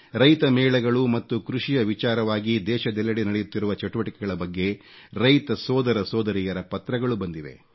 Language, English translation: Kannada, Our farmer brothers & sisters have written on Kisan Melas, Farmer Carnivals and activities revolving around farming, being held across the country